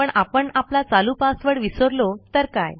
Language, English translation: Marathi, But what if we have forgotten our current password